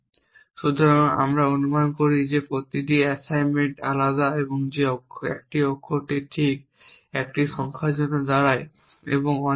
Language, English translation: Bengali, So, we assume that each assignment is distinct that that 1 letter stands for exactly 1 digit and so on